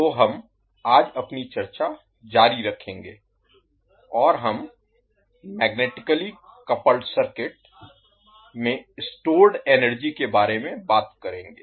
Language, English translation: Hindi, So we will continue our decision today and we will talk about energy stored in magnetically coupled circuits